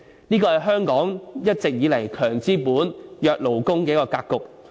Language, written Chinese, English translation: Cantonese, 這是香港一直以來"強資本、弱勞工"的格局。, This is the usual situation of strong capitalists and weak workers in Hong Kong